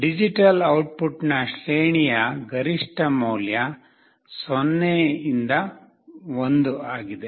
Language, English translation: Kannada, The maximum value the range of the digital output is 0 to 1